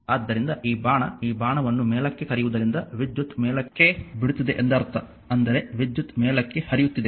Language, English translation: Kannada, So, this arrow this is your what you call that arrow upward means the current is leaving upward I mean current is moving flowing upward